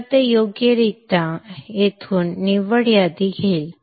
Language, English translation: Marathi, So it will appropriately take the net list from here